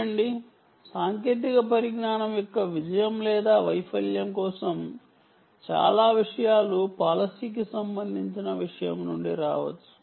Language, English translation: Telugu, see, many things ah for a success or failure of a technology also can come from a policy related matter, from a policy matter